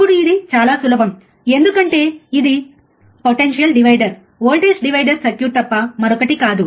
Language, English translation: Telugu, Now this is very easy, because this is nothing but a potential divider voltage divider circuit